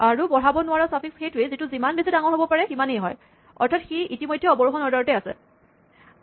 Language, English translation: Assamese, So, a suffix that cannot be incremented is one which is as large as it could possibly be which means that it is already in descending order